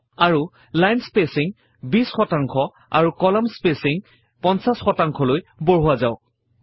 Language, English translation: Assamese, And change the line spacing to 20 percent and column spacing to 50 percent